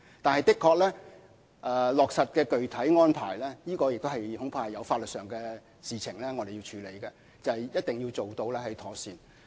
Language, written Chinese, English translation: Cantonese, 但是，在落實具體安排方面的確有法律事宜需要處理，並且一定要做得妥善。, Having said that in finalizing the specific arrangements there are indeed legal issues to be sorted out and what is more they must be handled properly